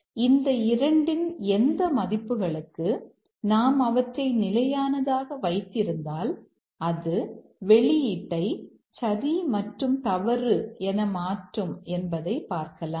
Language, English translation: Tamil, So, for what values of these two, if you hold them constant, we will this toggle the output as it becomes true and false